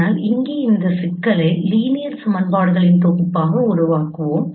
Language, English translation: Tamil, But here we will formulate this problem as a solution of a set of linear equations